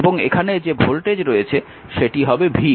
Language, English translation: Bengali, So, voltage across one and 2 is v actually